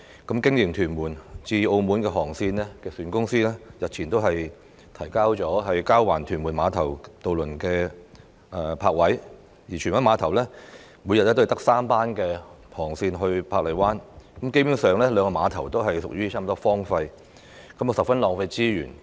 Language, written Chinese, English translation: Cantonese, 經營屯門至澳門航線的營辦商日前亦提出交還屯門碼頭渡輪泊位的請求，而荃灣碼頭每天亦只有3班航班前往珀麗灣，兩個碼頭基本上幾近荒廢，十分浪費資源。, Recently the operator of the Tuen Mun - Macao ferry route also put forth a request for returning its berthing spaces at Tuen Mun Ferry Pier and in the case of Tsuen Wan Ferry Pier ferry services to Park Island are scheduled for only three time slots a day . Basically the two piers are almost idle and this is a huge waste of resources